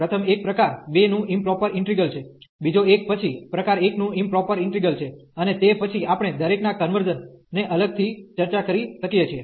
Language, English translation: Gujarati, The first one is the improper integral of type 2, the second one is then improper integral of type 1, and then we can discuss separately the convergence of each